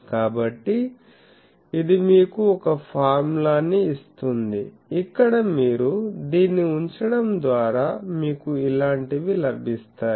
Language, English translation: Telugu, So, that will give you a formula where you will get putting that into this you get something like this